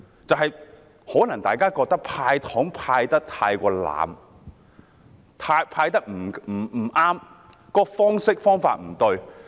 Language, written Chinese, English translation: Cantonese, 或許大家認為"派糖"派得太濫，而"派糖"的方式及方法也不對。, Maybe just the opposite as people might consider them too much with the wrong approach and method taken